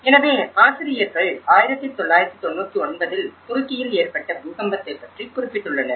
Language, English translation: Tamil, So, the authors brought the 1999 Marmara earthquake Turkey